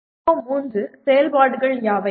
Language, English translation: Tamil, Which are the PO3 activities